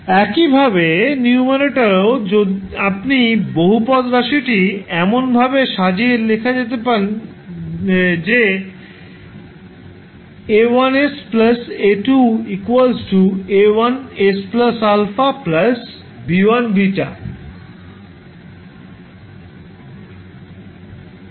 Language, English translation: Bengali, Similarly, in the numerator also, you can arrange the polynomial in such a way that it looks like A1 into s plus alpha plus B1 beta